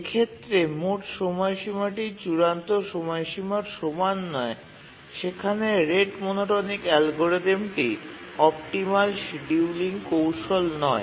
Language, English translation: Bengali, So, in cases where deadline is not equal to the period, rate monotonic algorithm is not really the optimal scheduling strategy